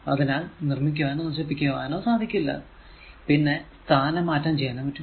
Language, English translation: Malayalam, So, it neither you can create nor you can destroy only it can be transferred right